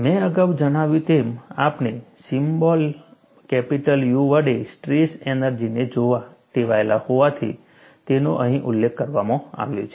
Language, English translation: Gujarati, As I mentioned, since we are accustomed to looking at strain energy with a symbol capital U, it is mentioned here